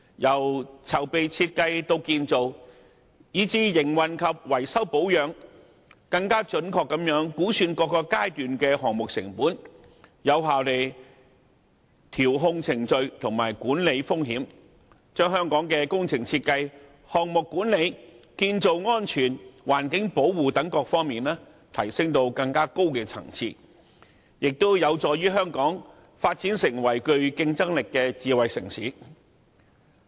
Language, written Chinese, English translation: Cantonese, 由籌備設計到建造，以至營運及維修保養，更準確估算各個階段的項目成本，有效調控程序及管理風險，把香港在工程設計、項目管理、建造安全及環境保護等各方面，提升至更高層次，同時有助香港發展成為具競爭力的智慧城市。, Furthermore the project cost of each stage from planning and design to construction operation and maintenance can be projected more accurately and the procedure and management risks can thus be adjusted and controlled effectively . This will not only elevate Hong Kong to a higher level in terms of works design project management construction safety and environmental protection but also help Hong Kong develop into a competitive smart city